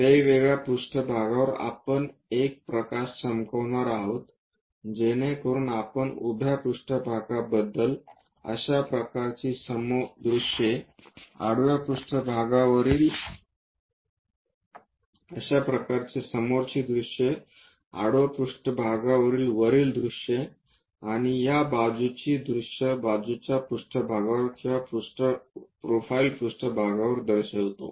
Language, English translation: Marathi, The different planes are what we are going to shine a light, so that we are going to construct such kind of front views on to the vertical planes, top views on to a horizontal plane, and side views on to this side planes or profile planes